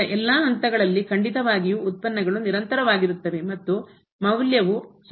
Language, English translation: Kannada, At all other points certainly the derivatives will be continuous and the value will be equal